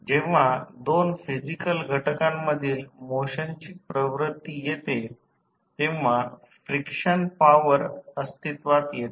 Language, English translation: Marathi, Whenever there is a motion or tendency of motion between two physical elements frictional forces will exist